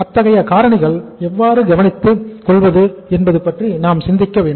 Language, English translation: Tamil, And we will have to think about that how to take care of such kind of the factors